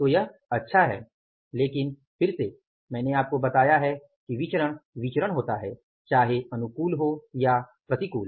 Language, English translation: Hindi, So, it is good but again I told you variance is a variance whether favorable or unfavorable